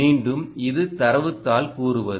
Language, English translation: Tamil, again, this is what the data sheet says